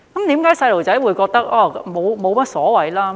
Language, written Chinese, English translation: Cantonese, 為何小朋友會覺得沒有所謂呢？, Why do children think that it is no big deal?